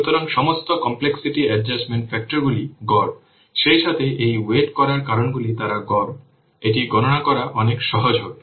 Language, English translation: Bengali, So, all the complexity adjustment factors are avaraged as well as these weighting factors they are average